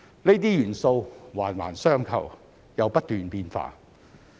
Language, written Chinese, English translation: Cantonese, 這些元素環環相扣又不斷變化。, These factors are intertwined and ever changing